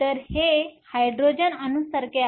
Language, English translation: Marathi, So, This is similar to a Hydrogen atom